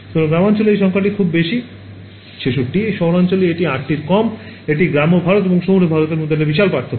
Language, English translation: Bengali, So, that number in rural areas is very large, 66, in urban areas it is much less it is 8 right, it is a huge difference between rural India and urban India and